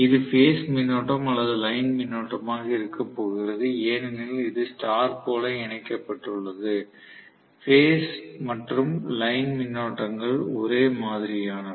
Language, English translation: Tamil, This is going to be the phase current or line current because it star connected, phase and line currents are the same, does not matter